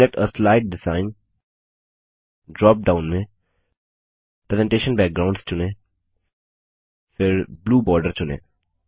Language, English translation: Hindi, In the Select a slide design drop down, select Presentation Backgrounds